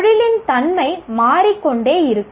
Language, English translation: Tamil, The nature of profession itself will keep changing